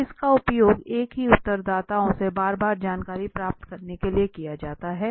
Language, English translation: Hindi, So this is used to obtain information from the same respondents repeatedly